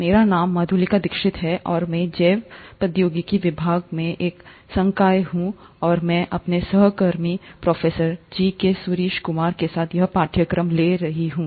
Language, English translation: Hindi, My name is Madhulika Dixit and I am a faculty at Department of Biotechnology, and I am taking this course along with my colleague, Professor G K Suraish kumar